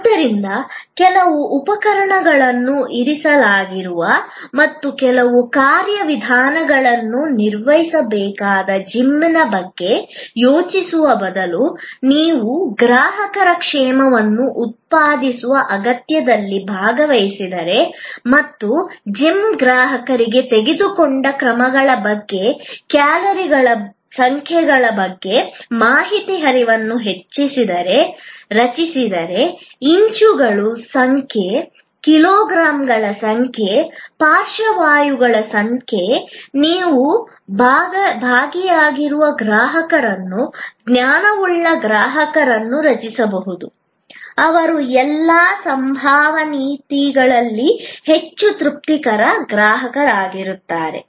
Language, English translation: Kannada, So, instead of thinking of a gym where certain equipment are kept and certain procedures can be performed, if you participate in the customer's need of generating wellness and create information flow to the gym customer about the number of steps taken, the number of calories burned, the number of inches, number of kilograms, number of strokes, you can create an involved customer, a knowledgeable customer, who in all probability will be a more satisfied customer